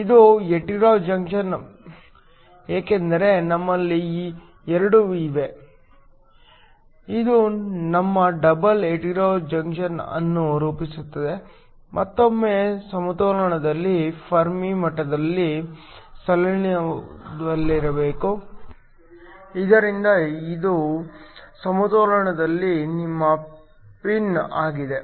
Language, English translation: Kannada, It is a hetero junction because we have two of these; this forms your double hetero junction, once again at equilibrium the Fermi levels must line up, so that this is your pin at equilibrium